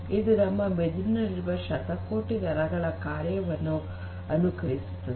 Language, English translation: Kannada, Basically, it mimics the working function of billions of neurons in our brain deep